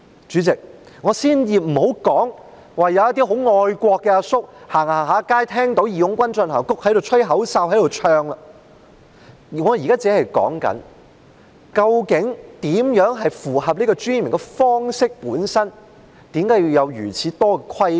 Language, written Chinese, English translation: Cantonese, 主席，先不說一些愛國的大叔在街上聽到"義勇軍進行曲"便不禁吹起口哨和高歌，我現在說的是，對於怎樣才符合其尊嚴的方式這一點，為何要有如此多的規管？, President I will not talk about some patriotic uncles who on hearing March of the Volunteers on the street cannot help whistling and singing along . What I am talking about is that on the point of how it can be considered as in keeping with its dignity why should there be so many rules and regulations?